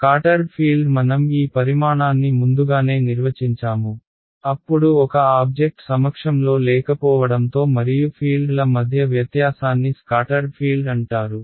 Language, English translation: Telugu, Scattered field we have defined this quantity earlier, then the difference between the fields in the presence and absence of an object is called the scattered field